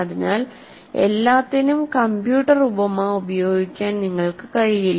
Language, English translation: Malayalam, So you cannot afford to use the computer metaphor for everything